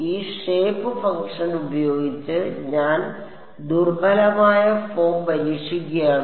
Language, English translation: Malayalam, I am testing the weak form with this shape function